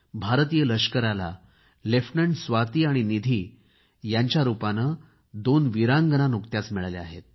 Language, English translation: Marathi, The Indian Army has got two extraordinary brave women officers; they are Lieutenant Swati and Nidhi